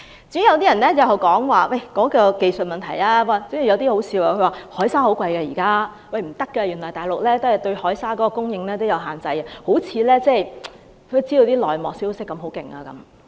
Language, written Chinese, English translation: Cantonese, 至於技術問題，有些言論很可笑，指海沙很貴，大陸對海沙供應有限制等，好像知道很多內幕消息。, Concerning the issue of technology some remarks are really absurd . Some people say that sea sand is very expensive and that the Mainland has limited the supply of sea sand etc as if they could get grasp plenty of insider information